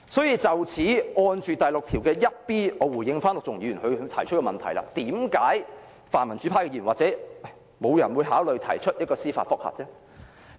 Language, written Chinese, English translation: Cantonese, 因此，關於第 61b 條，我回應陸頌雄議員提出的問題，為何泛民主派的議員或沒有人會考慮提出司法覆核？, Hence in relation to clause 61b let me respond to the question asked by Mr LUK Chung - hung . Why did no Member of the pan - democratic camp or no one considers lodging a judicial review?